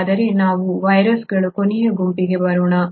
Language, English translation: Kannada, So then let us come to one last group which is the viruses